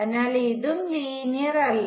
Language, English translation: Malayalam, So, clearly this is also not linear